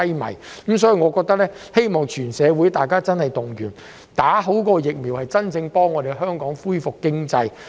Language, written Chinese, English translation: Cantonese, 就此，我希望全社會動員接種疫苗，真正幫助香港恢復經濟。, Therefore I hope that the community at large will work to mobilize vaccination to genuinely boost the economic recovery of Hong Kong